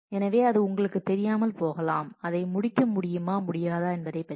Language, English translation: Tamil, So, it may be you do not know whether it come could complete or you could not